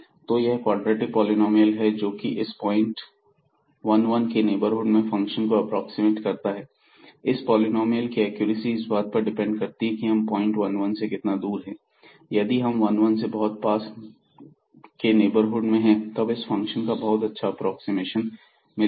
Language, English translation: Hindi, So, this is the quadratic polynomial which is approximating the function in the neighborhood of this 1 1 point and the accuracy of this polynomial will depend on how far we are from the point 1 1 if we are in a very close neighborhood of 1 1 this will give us a very good approximation of the function